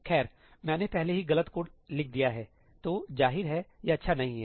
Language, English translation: Hindi, Well, I have already written ëincorrect codeí, so obviously, it is not good